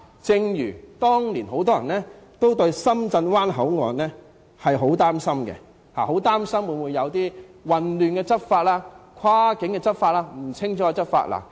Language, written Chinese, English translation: Cantonese, 正如當年很多人也對深圳灣口岸很擔心，恐怕會有混亂和不清不楚的跨境執法情況。, Many people were concerned about the Shenzhen Bay Port Area in the past . They worried that there would be chaotic and ambiguous cross - border enforcement activities